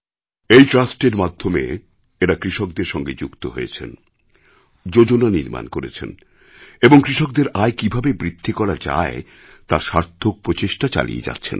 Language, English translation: Bengali, This trust remained associated with farmers, drew plans and made successful efforts to increase the income of farmers